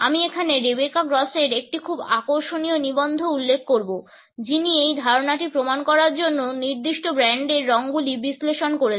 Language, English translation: Bengali, I would refer here to a very interesting article by Rebecca Gross who has analyzed certain brand colors to prove this idea